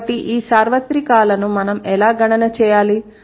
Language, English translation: Telugu, So these universals, how should we account for it